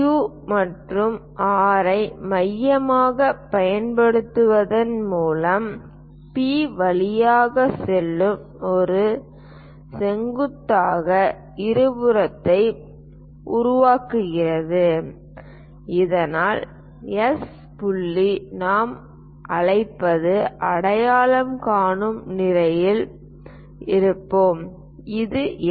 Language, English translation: Tamil, Using Q and R as centers construct one more perpendicular bisector passing through P, so that S point we will be in a position to identify let us call, this is S